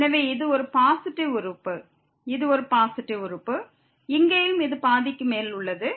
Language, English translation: Tamil, So, this is a positive term, this is a positive term and here also we have this is greater than half